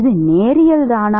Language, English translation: Tamil, is it linear